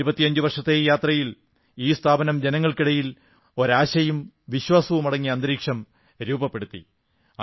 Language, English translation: Malayalam, In its journey of 25 years, it has created an atmosphere of hope and confidence in the countrymen